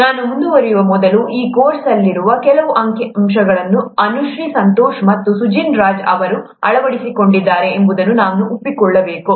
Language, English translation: Kannada, Before I go forward, I should acknowledge that some of the figures in this course have been adapted by Anushree Santosh and Sujin Raj